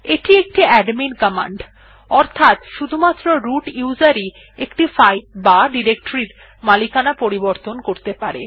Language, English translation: Bengali, This is an admin command, root user only can change the owner of a file or directory